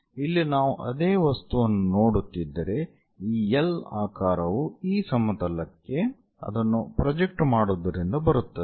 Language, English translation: Kannada, Here, the object if we are looking the same object the L shape comes from projection of that one onto this plane